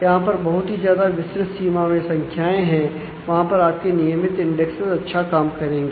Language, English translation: Hindi, There is a wide range of values where you can your regular indexes will work well